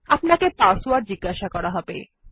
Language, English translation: Bengali, You will be prompted for a password